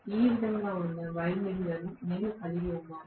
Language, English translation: Telugu, This is the way I am going to have the windings that are located